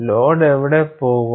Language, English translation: Malayalam, Where would the load go